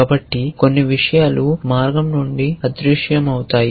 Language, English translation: Telugu, So, some things might vanish from the way